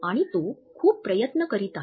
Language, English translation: Marathi, And he is trying very hard